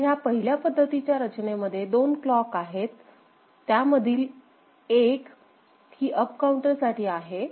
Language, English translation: Marathi, So, in one arrangement this there are two clocks, one is a count up